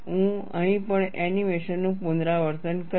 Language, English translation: Gujarati, I would repeat the animation here also